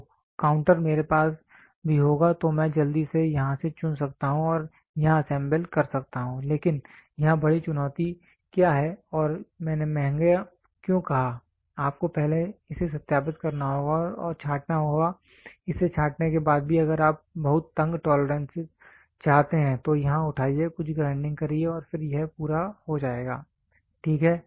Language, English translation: Hindi, So, counter I will also have then quickly I can pick from here and pick and assemble here, but here what is the big challenge and why did I say costly you have to first verify and sort it out and even after sorting it out if you want to have very tight tolerances then pick here pick here do some grinding and then get it done, ok